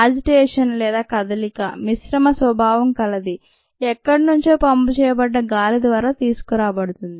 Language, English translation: Telugu, the agitation, the mixed nature, is brought about by air which is pumped in here somewhere